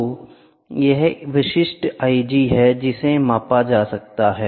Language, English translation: Hindi, So, this is the typical i G which is can be measured